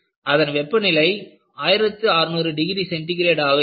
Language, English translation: Tamil, It is about order of 1600 degrees Centigrade